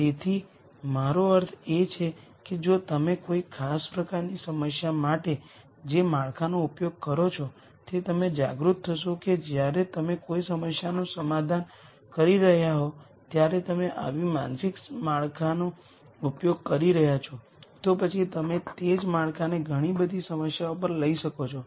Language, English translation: Gujarati, So, what I mean by this is if you use whatever framework it is for a particular type of problem you become aware that you are using such a mental framework when you are solving a problem then you can take the same framework to many different problems then that becomes your thought process for solving data science problems